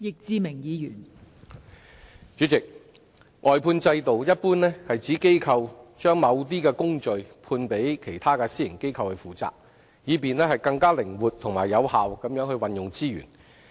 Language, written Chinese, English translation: Cantonese, 代理主席，外判制度一般指機構將某些工序判予其他私營機構負責，以便更靈活及有效地運用資源。, Deputy President the outsourcing system generally refers to the outsourcing of certain processes of organizations to other private organizations so as to enhance flexibility and effectiveness in the use of resources